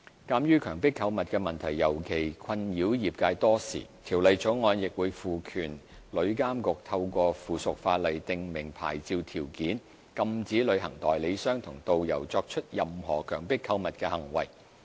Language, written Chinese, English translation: Cantonese, 鑒於強迫購物的問題尤其困擾業界多時，《條例草案》亦會賦權旅監局透過附屬法例訂明牌照條件，禁止旅行代理商和導遊作出任何強迫購物的行為。, As the trade has been vexed in particularly by the problem of coerced shopping for a long time the Bill will also empower TIA to prescribe licence conditions through subsidiary legislation to prohibit travel agents and tourist guides from committing any act of coerced shopping